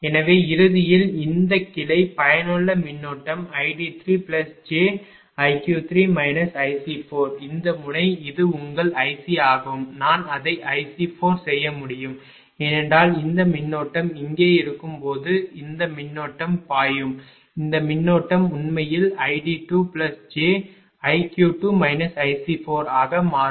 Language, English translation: Tamil, So, ultimately this branch effective current will be i d 3 plus j i q 3 minus i C 4 this node this is your i C, I can make it i C 4 right because this current will be flowing this when this current will be here, this current actually will become i d 2 plus j i q 2 minus i C 4 right